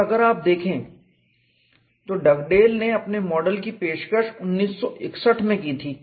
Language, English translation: Hindi, And if we look at Dugdale reported its model 1961 or so